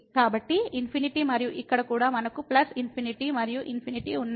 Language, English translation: Telugu, So, infinity and here also we have plus infinity plus infinity